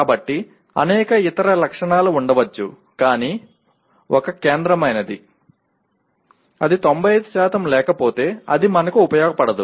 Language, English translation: Telugu, So there may be several other specifications but one central one, if it does not have 95% it is of no use to us